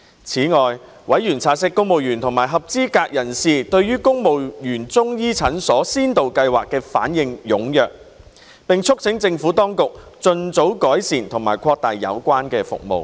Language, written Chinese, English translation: Cantonese, 此外，委員察悉公務員及合資格人士對公務員中醫診所先導計劃反應踴躍，並促請政府當局盡早改善及擴大有關服務。, In addition noting that the Pilot Scheme on Civil Service Chinese Medicine Clinics was well received by civil service eligible persons members urged the Administration to improve and expand the provision of services as early as practicable